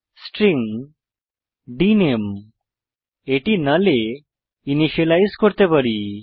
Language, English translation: Bengali, String dName we can linitialize it to null